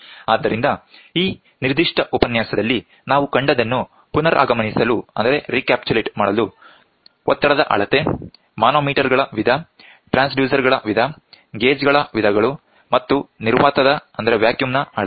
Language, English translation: Kannada, So, to recapitulate what we saw in this particular lecture is pressure measurement, type of manometers, type of transducers, types of gauges and measurement of vacuum